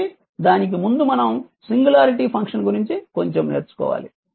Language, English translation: Telugu, So, before that little bit we were learn about we will learn about singularity function